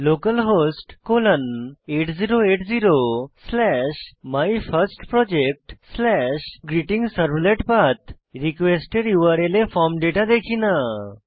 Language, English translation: Bengali, It is localhost colon 8080 slash MyFirstProject slash GreetingServlet Path Here we do not see the form data in the URL of the request